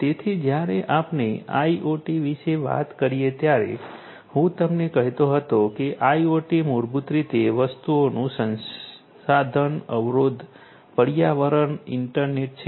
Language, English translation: Gujarati, So, when we talk about IoT as I was telling you that IoT is basically a resource constrained environment internet of things right